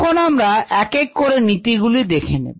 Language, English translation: Bengali, let us see the principles one by one